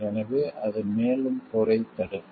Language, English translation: Tamil, So, that the and preventing further war